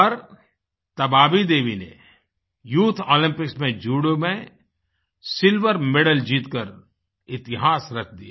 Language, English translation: Hindi, But Tabaabi Devi created history by bagging the silver medal at the youth Olympics